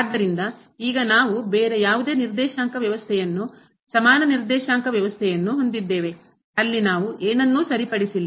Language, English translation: Kannada, So, now, we have a different coordinate system equivalent coordinate system where we have not fixed anything